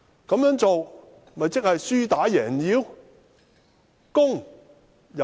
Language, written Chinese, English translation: Cantonese, 這樣做豈不是輸打贏要？, Was he not playing bad loser?